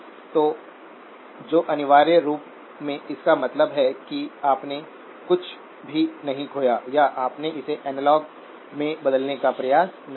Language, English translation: Hindi, So which essentially means that you did not lose any or you did not attempt to convert it into analog